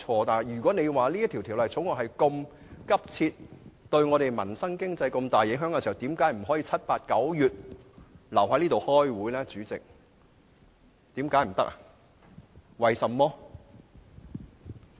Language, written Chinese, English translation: Cantonese, 但如果這項《條例草案》那麼急切，又對民生和經濟有重大影響，為何議員不可以在7月、8月和9月留在這裏開會？, If the Bill is so urgent and it will have significant effects on peoples livelihood and our economy why cant Members continue to attend Council meetings in July August and September?